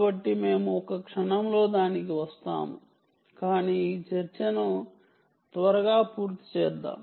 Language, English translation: Telugu, so we will come to that in a moment, but lets complete this discussion quickly, alright